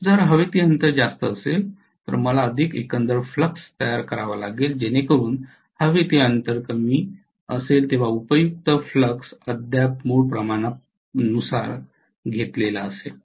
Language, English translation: Marathi, If the air gap is more I might have to produce more overall flux so that the useful flux still corresponding to the original quantity when the air gap was smaller